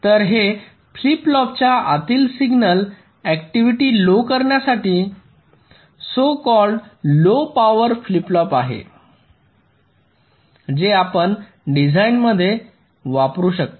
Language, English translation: Marathi, so this is the so called low power flip flop, which you can use in a design to reduce the signal activity inside the flip flops